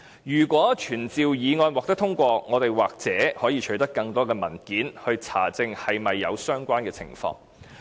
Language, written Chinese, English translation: Cantonese, 如果傳召議案獲得通過，我們也許可以取得更多文件查證是否有相關情況。, If this motion is passed we may perhaps obtain more documents to ascertain if collusion did exist